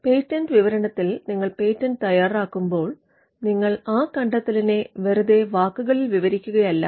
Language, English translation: Malayalam, So, in a patent specification, when you draft a patent, you will not merely describe the invention in words